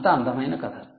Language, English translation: Telugu, so what a beautiful story